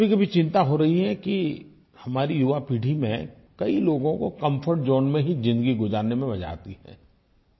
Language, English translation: Hindi, I am sometimes worried that much of our younger generation prefer leading life in their comfort zones